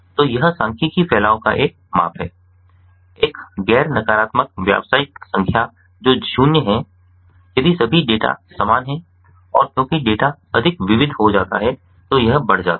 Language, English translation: Hindi, so its a measure of statistical dispersion, a non negative real number that is zero if all the data are the same, and it increases at the as the data becomes more diverse